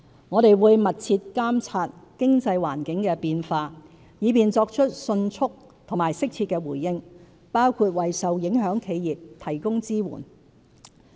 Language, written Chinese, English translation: Cantonese, 我們會密切監察經濟環境的變化，以便作出迅速和適切的回應，包括為受影響企業提供支援。, We will closely monitor changes in the economic environment so that we may respond swiftly and suitably including providing support for affected enterprises